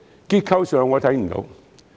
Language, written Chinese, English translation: Cantonese, 結構上，我看不到。, Structurally I dont see any